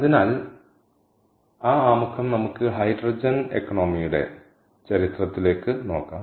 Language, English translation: Malayalam, lets look at the history of hydrogen economy